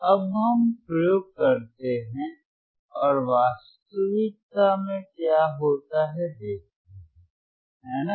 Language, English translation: Hindi, Now let us perform the experiments and let us see in reality what happens, right